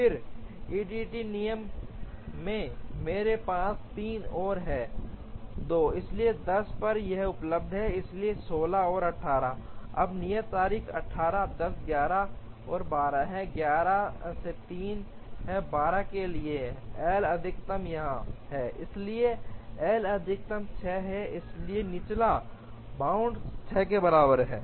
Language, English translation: Hindi, Then by EDD rule, I have 3 and 2, so at 10 this is available, so 16 and 18, now the due dates are 8, 10, 11 and 12, 11 for 3 12 for 2, L max is here, so L max is 6, so lower bound is equal to 6